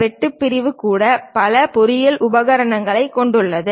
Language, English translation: Tamil, Even the cut sectional consists of many engineering equipment